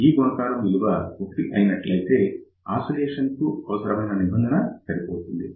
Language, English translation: Telugu, So, if the product is equal to 1 that will be the condition for the oscillation